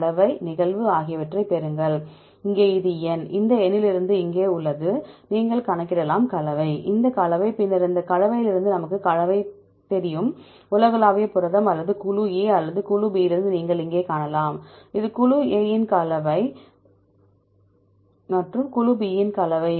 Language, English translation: Tamil, Get the composition, occurrence, here this is N, is here from this N, you can calculate the composition, this composition, then from this composition we know the composition from the globular protein or group A or group B you can see here this is the composition of group A and composition of group B